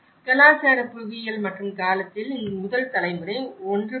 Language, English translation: Tamil, And the cultural geography and the time, that the first generation, 1